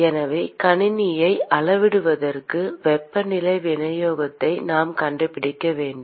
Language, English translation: Tamil, So, in order to quantify the system, we need to find the temperature distribution